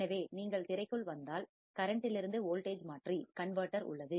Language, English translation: Tamil, So, if you come in the screen, there is a current to voltage converter